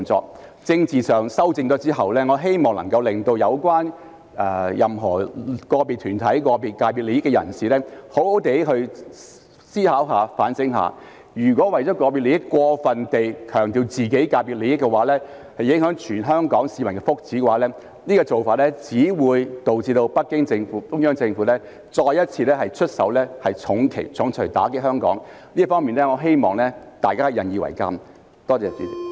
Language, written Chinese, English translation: Cantonese, 在政治上作出修正後，我希望能夠令有關的個別團體及代表個別界別利益的人士好好思考和反省，如果為了個別利益，過分強調自己界別的利益而影響全港市民福祉，這做法只會導致北京中央政府再一次出手重錘打擊香港，我希望大家引以為鑒。, After rectifications are made politically I hope that individual organizations concerned and people representing the interests of individual sectors will seriously do some thinking and soul - searching . If they care about their individual interests and over - emphasize the interests of their industries at the expense of the well - being of all the people of Hong Kong it will only result in the Beijing Central Government taking actions once again to hit Hong Kong with a hard punch . I hope that we will all learn a lesson